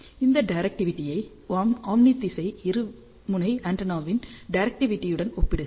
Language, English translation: Tamil, Compare this directivity with the directivity of omni directional dipole antenna which is only 1